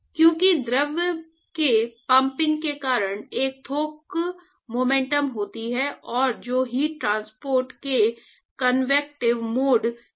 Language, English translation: Hindi, Correct because of the pumping of the fluid there is a bulk motion and that is actually leading to convective mode of heat transport and